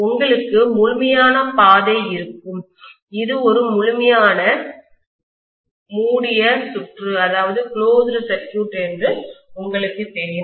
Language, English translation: Tamil, You will have a complete path; you know it will be a complete closed circuit basically